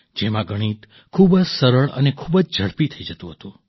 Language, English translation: Gujarati, In which mathematics used to be very simple and very fast